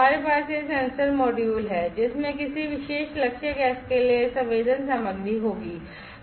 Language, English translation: Hindi, We have this sensor module, which will have this sensing material for a particular target gas